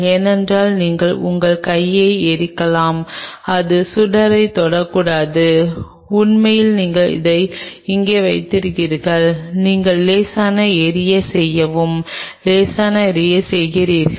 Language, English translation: Tamil, Because you may burn your hand and just flame it do not touch the flame really it is kind of you hold it here like this, and just you are doing a mild flaming doing a mild flaming